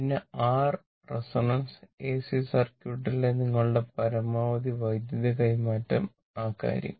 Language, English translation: Malayalam, And what you call that your resonance then, your maximum power transfer in AC circuit; those things